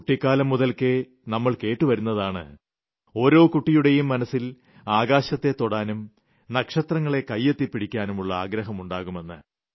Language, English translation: Malayalam, We have been hearing these things since childhood, and every child wishes deep inside his heart to touch the sky and grab a few stars